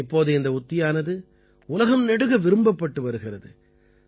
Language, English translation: Tamil, Now this technique is being appreciated all over the world